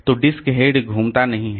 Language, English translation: Hindi, So, disc head does not rotate